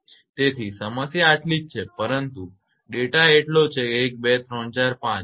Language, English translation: Gujarati, So, problem is this much, but data is so 1 2 3 4 5 6